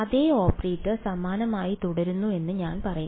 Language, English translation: Malayalam, I will say the same operator remains similar ok